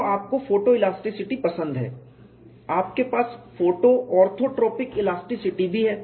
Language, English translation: Hindi, So, you have like photo elasticity you also have photo orthotropic elasticity